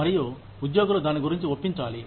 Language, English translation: Telugu, And, employees have to be convinced, about it